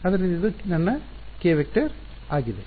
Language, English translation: Kannada, So, this is my k vector